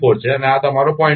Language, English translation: Gujarati, 4 and this is your 0